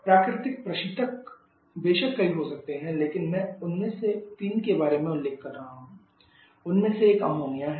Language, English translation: Hindi, Natural refrigerants there are several one of course, but I am mentioning about 3 of them one is ammonia